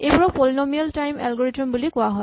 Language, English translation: Assamese, These are the so called Polynomial time algorithms